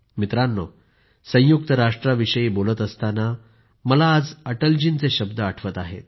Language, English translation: Marathi, today while talking about the United Nations I'm also remembering the words of Atal ji